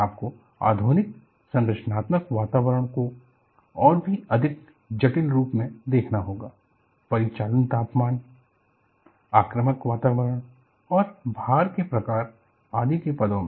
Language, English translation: Hindi, See, you have to look at, the modern structural environment is much more complex in terms of operating temperatures, aggressive environments and types of loading, etcetera